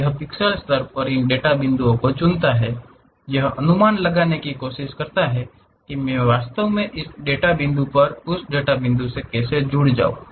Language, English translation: Hindi, It picks these data points at pixel level, try to interpolate how I can really join this data point that data point